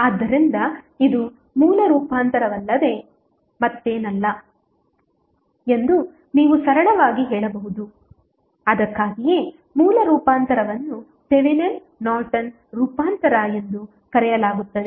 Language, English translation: Kannada, So, you can simply say this is nothing but a source transformation that is why the source transformation is also called as Thevenin Norton's transformation